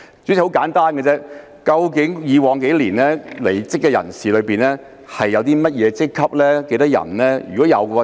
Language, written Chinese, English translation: Cantonese, 主席，很簡單，究竟過去數年的離職人士屬於甚麼職級及共有多少人？, President the main question is very simple . What were the ranks of DoJ officers who left in the past few years and what was the total number?